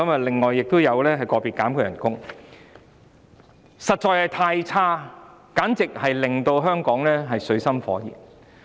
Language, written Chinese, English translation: Cantonese, "林鄭"的表現實在太差，簡直令香港水深火熱。, Carrie LAM has really performed badly it can be said that she has driven Hong Kong into an abyss of misery